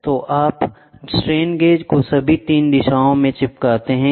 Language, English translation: Hindi, So, you stick strain gauges in all the 3 directions